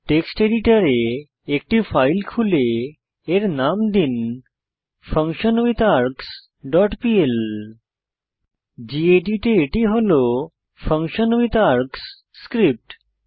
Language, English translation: Bengali, Open a file in your text editor and name it as functionWithArgs dot pl Here is my functionWithArgs script in gedit